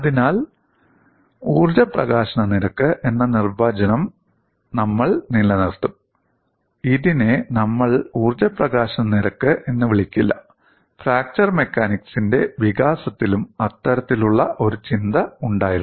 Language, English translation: Malayalam, So, we will retain the definition as energy release rate; we will not call this as strain energy release rate; that kind of thinking was also there in the development of fracture mechanics